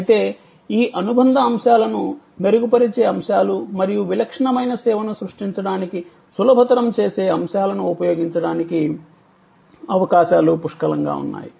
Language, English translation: Telugu, Opportunities however are there aplenty to use these supplementary elements, the enhancing elements as well as the facilitating elements to create a distinctive service